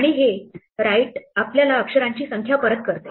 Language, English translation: Marathi, And this write actually returns the number of characters written